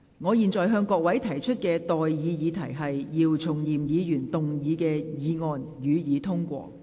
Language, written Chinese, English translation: Cantonese, 我現在向各位提出的待議議題是：姚松炎議員動議的議案，予以通過。, I now propose the question to you and that is That the motion as moved by Dr YIU Chung - yim be passed